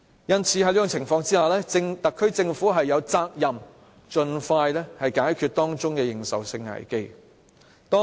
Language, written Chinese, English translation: Cantonese, 而在這種情況下，特區政府有責任盡快解決這認受性危機。, In such cases the SAR Government is duty - bound to address the legitimacy crisis